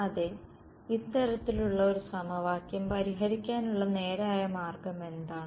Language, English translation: Malayalam, Yes what is the straightforward way of solving this kind of an equation